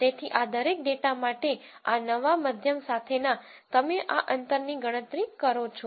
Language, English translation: Gujarati, So, for each of these data points with these new means you calculate these distances